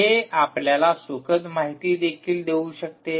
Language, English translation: Marathi, right, it can also give you pleasure information